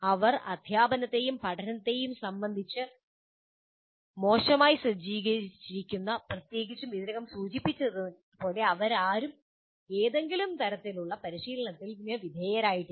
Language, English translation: Malayalam, And they're ill equipped, particularly with respect to teaching and learning, which we have already mentioned because none of them need to undergo any kind of train